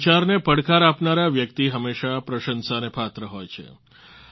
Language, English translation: Gujarati, Those who challenge this line of thinking are worthy of praise